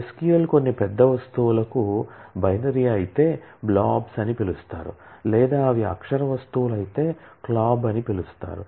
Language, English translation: Telugu, SQL supports certain large objects which are either called blobs if they are binary, or called clob if they are character objects